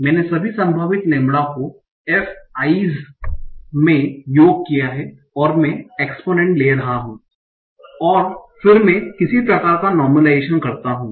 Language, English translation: Hindi, So I sum over all the possible lambda is f i and take an exponent and then I do some sort of normalization